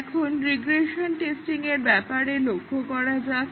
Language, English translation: Bengali, Now, let us look at regression testing